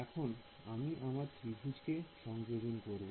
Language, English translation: Bengali, So, I take my triangle ok